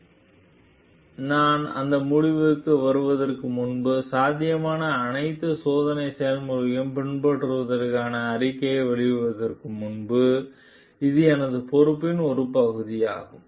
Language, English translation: Tamil, So, it is a part of my responsibility before we make in a statement to follow all the testing processes possible before I arrive at that conclusion